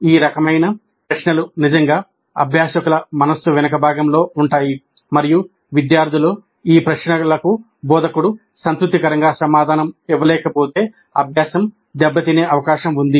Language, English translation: Telugu, These kind of questions would be really at the back of the mind of the learners and unless the instructor is able to satisfactorily answer these queries of the students, learning is likely to suffer